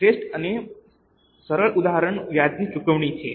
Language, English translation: Gujarati, The best and simple example is payment of interest